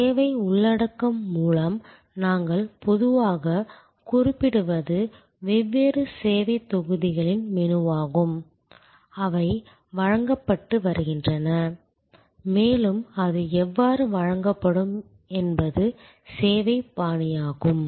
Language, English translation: Tamil, By service content, what we normally mean is the menu of different service blocks, that are being offered and service style is how it will be delivered